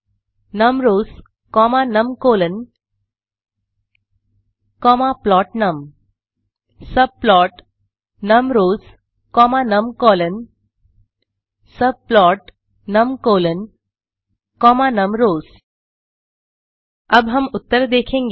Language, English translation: Hindi, subplot(numRows, numCols, plotNum) , subplot(numRows, numCols) , subplot(numCols, numRows) Now we will look at the answers, 1